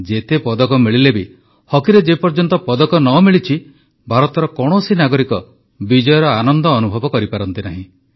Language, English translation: Odia, And irrespective of the number of medals won, no citizen of India enjoys victory until a medal is won in hockey